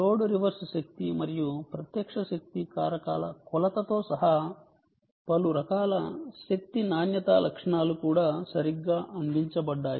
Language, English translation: Telugu, a variety of power quality features, including no load, reverse power and a direct power factor measurement, are also provided